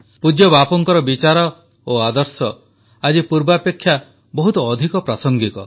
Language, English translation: Odia, Revered Bapu's thoughts and ideals are more relevant now than earlier